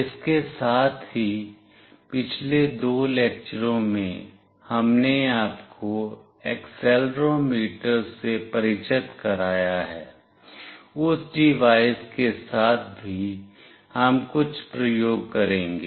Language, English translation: Hindi, Along with that in previous two lectures, we have introduced you to accelerometer; with that device also we will be doing a couple of experiment